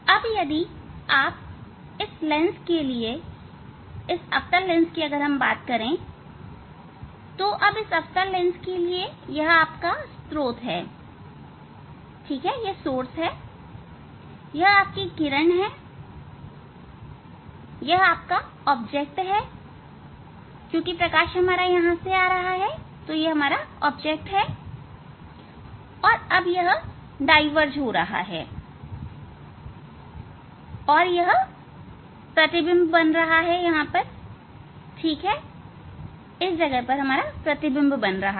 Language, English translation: Hindi, Now, if you think for this lens for this concave lens now for this concave lens this is the source; this is the source as if this light this is the object as if light is coming from here light is coming from here and then it s a diverge and they are forming image here ok; they are forming image here